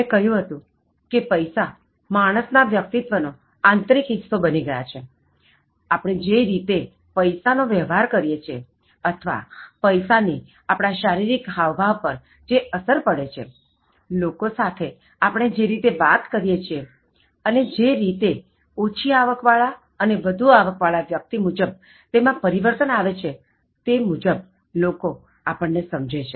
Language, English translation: Gujarati, I said that money has become an integral part of human personality and people perceive the way we deal with money or what money does to us in terms of our body language, the way we talk to people, the way we change our body language with regard to people with low income and high income and all that